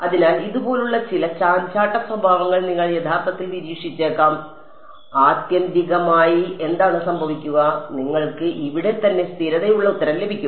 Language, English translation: Malayalam, So, you might actually observe some fluctuating behavior like this eventually what will happen is that, you get a stable answer over here right